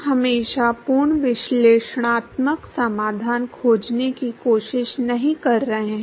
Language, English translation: Hindi, We are not always trying to find complete analytical solution